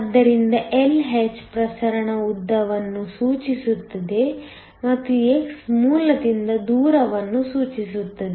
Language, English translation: Kannada, So, Lh refers to the diffusion length and x refers to the distance from the origin